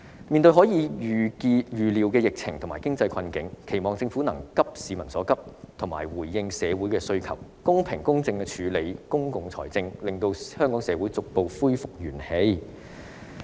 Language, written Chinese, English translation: Cantonese, 面對未可預料的疫情和經濟困境，期望政府能急市民所急，及時回應社會的需求，公平公正地處理公共財政，令香港社會逐步恢復元氣。, In face of the epidemic outbreak and economic predicament which are virtually unpredictable I hope the Government will address the pressing needs of the public respond to the aspirations of society in a timely manner manage public finance fairly and impartially thereby enabling the Hong Kong society to regain vitality gradually